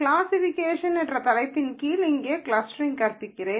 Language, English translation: Tamil, I am teaching clustering here under the heading of classification